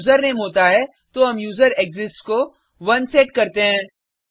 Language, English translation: Hindi, If the username exists then we set userExists to 1